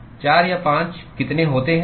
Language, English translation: Hindi, How many are there 4 or 5